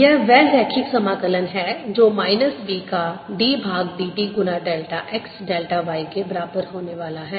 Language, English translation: Hindi, this is the line integral which is going to be equal to minus d by d t of b times delta x, delta y